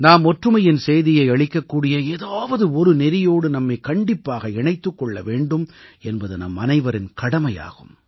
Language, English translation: Tamil, It is our duty that we must associate ourselves with some activity that conveys the message of national unity